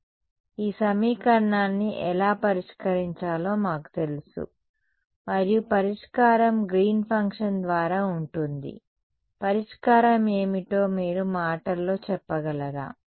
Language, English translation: Telugu, So, we know how to solve this equation and the solution is by Green’s function can you tell me in words what is the solution